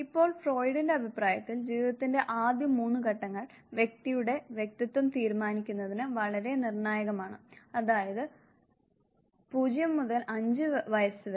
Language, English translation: Malayalam, Now, the first three stages of life, according to Freud are extremely crucial for now deciding the persona of the individual, means 0 to 5 years of age